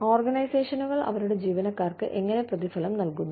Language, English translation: Malayalam, How do organizations, reward their employees